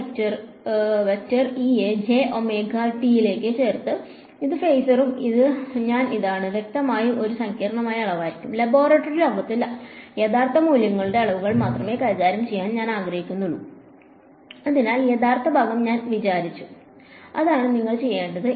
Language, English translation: Malayalam, And I have put the e to the j omega t that is the phasor and I this is; obviously, going to be a complex quantity and since I want to only deal with real valued quantities in the lab world so I related by taking the real part so, that is what we will do